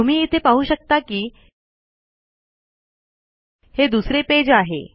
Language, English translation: Marathi, Okay you can see it here, this is the second page